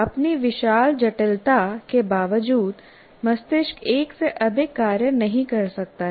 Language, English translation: Hindi, In spite of its great complexity, brain cannot multitask